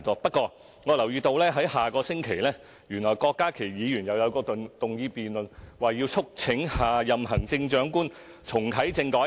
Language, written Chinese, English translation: Cantonese, 不過，我留意到下星期郭家麒議員動議一項議案辯論："促請下任行政長官重啟政改"。, I notice that Dr KWOK Ka - ki will move a motion debate for next week on urging the next Chief Executive to reactivate the constitutional reform